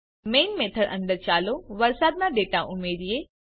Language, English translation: Gujarati, Within the main method, let us add the rainfall data